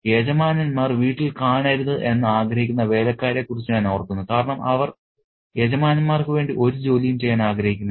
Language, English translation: Malayalam, So, I am reminded of the servants who do not want the masters at home because they don't want to do any work for the master